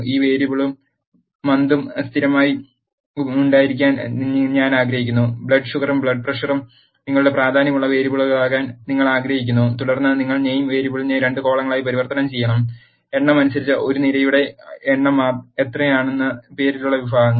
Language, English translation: Malayalam, I want to have this variable and month as constant, because you want blood sugar and blood pressure to be your variables of importance and then, you have to convert the name variable into 2 columns are, how many of a columns depending upon the number of categories in the name